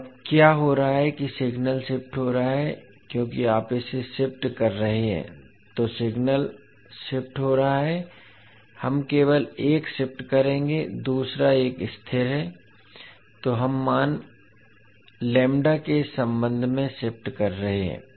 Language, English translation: Hindi, So what is happening now that the signal is shifting because you are shifting it so the signal is shifting, we will only shift one, second one is stationary so we are shifting with respect to the value lambda